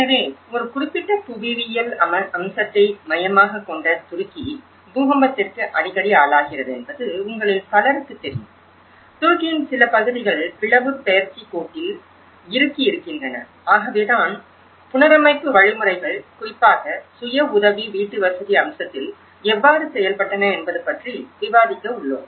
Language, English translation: Tamil, So, this is a focus on a particular geographical aspect in the Turkey and as many of you know that Turkey is prone to earthquake; frequent earthquakes and certain part of Turkey is lying on the fault line, so that is wherein we are going to discuss about how the reconstruction mechanisms have worked out especially, in the self help housing aspect